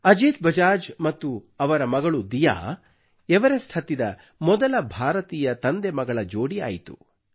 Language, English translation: Kannada, Ajit Bajaj and his daughter became the first ever fatherdaughter duo to ascend Everest